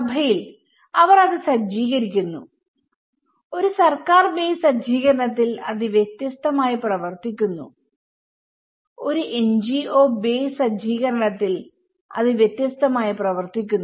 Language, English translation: Malayalam, In church, they set up it acts differently in a government base set up it act differently, in a NGO base set up it acts differently